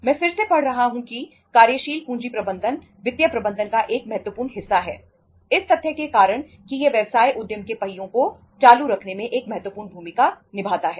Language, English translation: Hindi, I am again reading that working capital management is a significant part of financial management due to the fact that it plays a pivotal role in keeping the wheels of business enterprise running